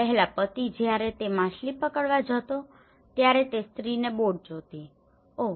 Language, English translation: Gujarati, Earlier, husband when he goes for fishing the woman used to see the boat, oh